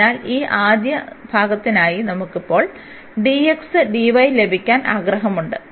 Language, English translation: Malayalam, So, for this first part we will have we want to have now the dx dy